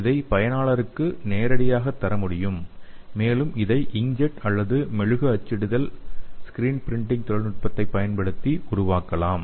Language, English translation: Tamil, And it is deliverable to end users and can be developed using inkjet or wax printing or screen printing technology